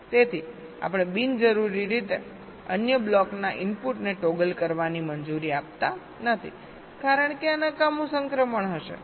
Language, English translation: Gujarati, so we are not unnecessarily allowing the input of the other block to toggle, because this will be use useless transition